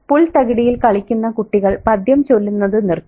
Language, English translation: Malayalam, Out on the lawn the children stopped chanting